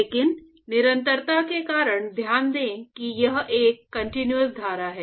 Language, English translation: Hindi, So, but because of continuity; so, note that it is a continuous stream